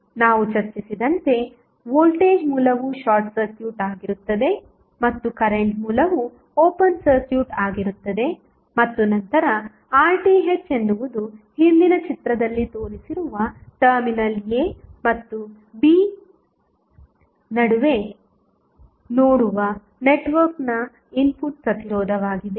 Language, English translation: Kannada, As we just discussed that voltage source would be short circuited and current source will be open circuited and then R Th is the input resistance of the network looking between the terminals a and b that was shown in the previous figure